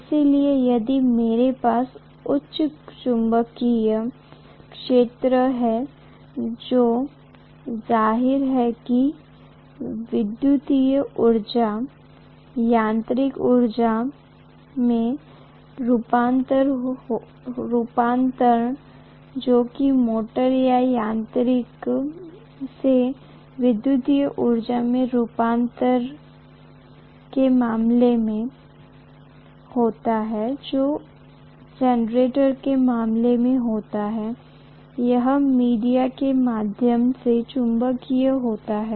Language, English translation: Hindi, So if I have higher magnetic field, obviously the electrical to mechanical energy conversion that takes place in the case of a motor or mechanical to electrical energy conversion that takes place in the case of generator, it happens through magnetic via media